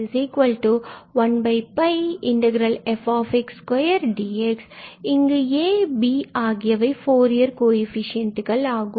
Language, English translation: Tamil, And these are exactly the Fourier coefficients of the function f